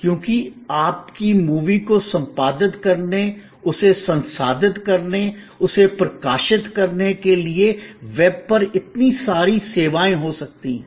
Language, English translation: Hindi, Because, of the so many services that you can have on the web to edit your movie, to process it, to publish it